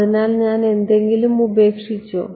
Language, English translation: Malayalam, So, did I leave out anything